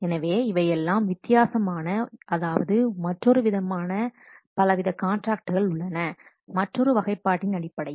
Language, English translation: Tamil, So this is the different classifications or these are the different types of contracts based on the other classification